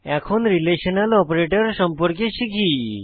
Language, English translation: Bengali, Now, let us learn about Relational Operators